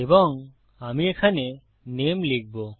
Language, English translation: Bengali, And Ill put name in here